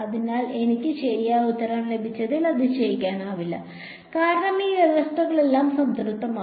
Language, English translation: Malayalam, So, this is no surprise I got the correct answer because, all the conditions are satisfied